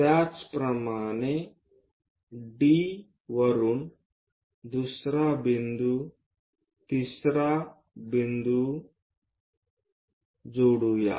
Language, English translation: Marathi, Similarly from D connect second point third point and so on